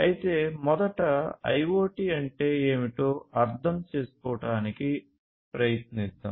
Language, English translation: Telugu, But first let us try to understand what is IoT